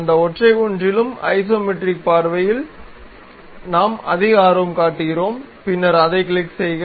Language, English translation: Tamil, In that single one also, we are more interested about isometric view, then click that